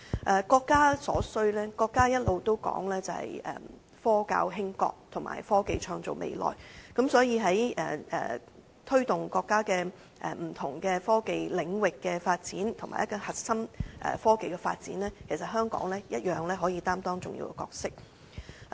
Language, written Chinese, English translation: Cantonese, 至於國家所需，國家一直提倡"科教興國"及"科技創造未來"，所以在推動國家不同科技領域的發展，以及核心科技的發展上，其實香港一樣可以擔當重要的角色。, As regards what the country needs the country has been advocating the application of science and education to strengthen the country and the creation of future through technology . Therefore in promoting national development in various technological areas and development in core technologies Hong Kong can actually play a significant role